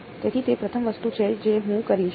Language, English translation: Gujarati, So, that is the first thing I will do